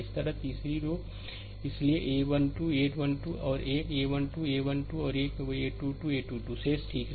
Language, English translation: Hindi, This is the third row ah so, a 1 2, a 1 3 and a 1 2, a 1 3 and a 2 2, a 2 3 will be remaining, right